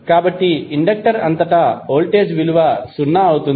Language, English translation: Telugu, So, voltage across inductor would be zero